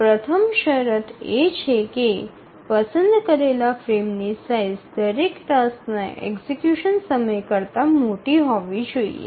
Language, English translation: Gujarati, The first consideration is that each frame size must be larger than the execution time of every task